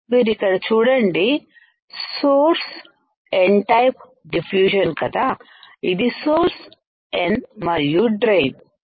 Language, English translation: Telugu, You see here source N type diffusion right this is the source N and drain